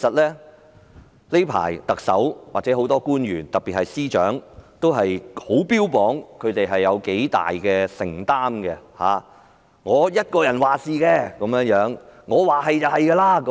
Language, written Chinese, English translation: Cantonese, 最近特首或很多官員特別是司長也標榜他們有多大承擔，由自己一人作主，說一不二。, Recently the Chief Executive and many officials especially the Secretaries of Departments have bragged about how great their commitment is . They make decisions alone and stand by their words